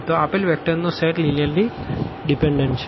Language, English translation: Gujarati, So, this given set of vectors here is linearly dependent